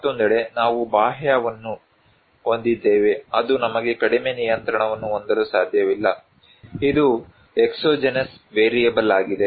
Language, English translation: Kannada, On the other hand, we have external one which we cannot less control, is an exogenous variable